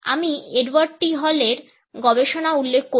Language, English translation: Bengali, I would refer to the researches of Edward T Hall